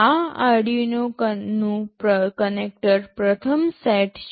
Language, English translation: Gujarati, These are the Arduino connector first set